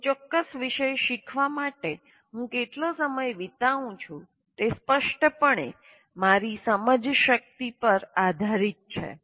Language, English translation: Gujarati, So the amount of time I spend on in learning a particular topic will obviously depend on my metacognitive knowledge